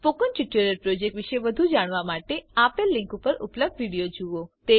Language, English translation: Gujarati, To know more about the Spoken Tutorial project, watch the video available at the following link, It summarizes the project